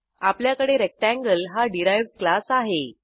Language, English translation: Marathi, Then we have class Rectangle as a derived class